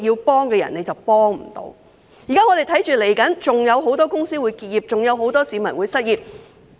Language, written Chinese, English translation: Cantonese, 我們現在看到，未來還有很多公司會結業，還有很多市民會失業。, Now we can see that many more companies will close down and many more people will become jobless in the future